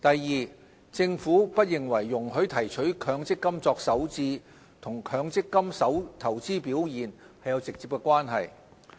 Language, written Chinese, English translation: Cantonese, 二政府不認為容許提取強積金作首置和強積金投資表現有直接關係。, 2 The Government does not think there is a direct relationship between allowing the withdrawal of MPF benefits for first home purchase and the investment performance of MPF funds